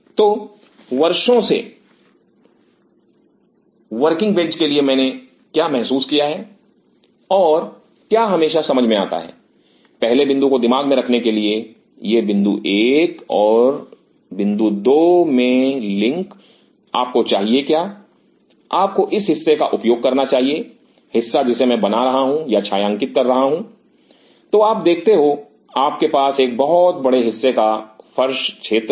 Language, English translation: Hindi, So, for the working bench over the years what I have realized and what always made sense for keeping the first point in mind this point 1 and link in into the point 2 you should do you should utilize this part, portion I am hatching or shading